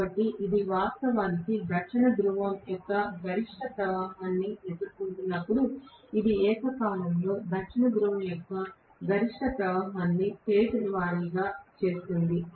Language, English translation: Telugu, So, when this is actually facing the maximum flux of the North Pole, this will simultaneously phase the maximum flux of the South Pole